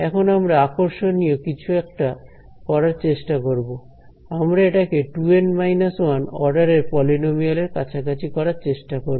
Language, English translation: Bengali, Now, we want to try something interesting, we want to try to approximate it by a polynomial of order 2 N minus 1